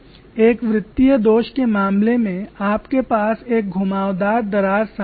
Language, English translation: Hindi, It is been analyzed that in the case of a circular flaw you have a curved crack front